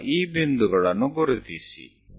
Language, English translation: Kannada, These are the points